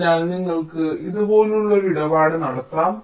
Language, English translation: Malayalam, ok, so you can have a tradeoff like this